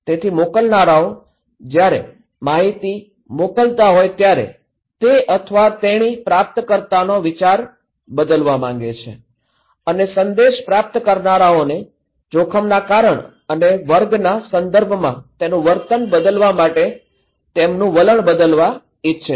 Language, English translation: Gujarati, So, senders when sending the informations, he wants, he or she wants to change the mind of the receiver and changing their attitude to persuade the receivers of the message to change their attitude and their behaviour with respect to specific cause or class of a risk